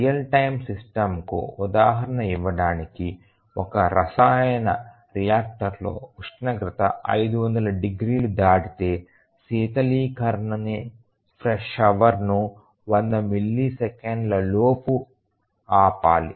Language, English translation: Telugu, Just to give an example of a real time system let us say that in a chemical reactor if the temperature exceeds 500 degrees, then the coolant shower must be turned down within 100 milliseconds